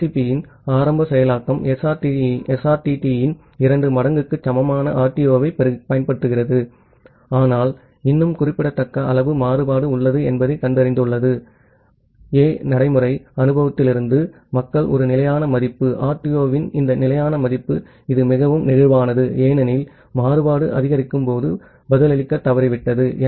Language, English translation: Tamil, Because the initial implementation of TCP it used RTO equal to two times of SRTT, but it has found out that still there is a significant amount of variance say ah, from the practical experience people have seen that a constant value, this constant value of RTO it is very inflexible because, it fail to response when the variance went up